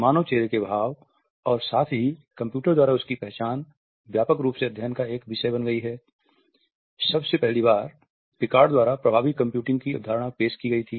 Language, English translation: Hindi, Human facial expressions as well as their recognition by computers has become a widely studied topic since the concept of effective computing was first introduced by Picard